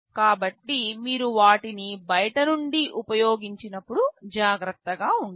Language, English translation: Telugu, So, when you use them from outside you should be careful